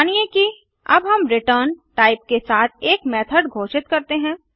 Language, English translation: Hindi, Suppose now we declare add method with return type